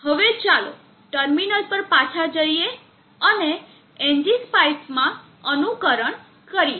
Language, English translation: Gujarati, Now let us go back to the terminal and simulate an NG spice